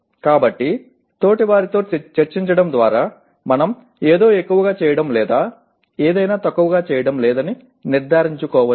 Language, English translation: Telugu, So by discussing with peers we can make sure that we are not overdoing something or underdoing something